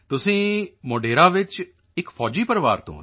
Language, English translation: Punjabi, You are in Modhera…, you are from a military family